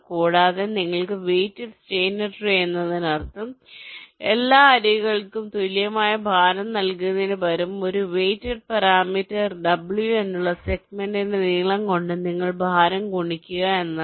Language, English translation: Malayalam, a weighted steiner tree is means: instead of giving equal weights to all the edges, you multiply ah, the weight with a, the length of a segment, with a weight parameter w